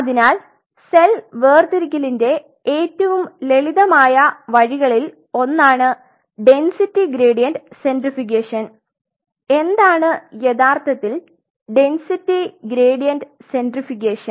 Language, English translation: Malayalam, So, one of the simplest ways of cell separation is called density gradient centrifugation density gradient centrifugation what really is density gradient centrifugation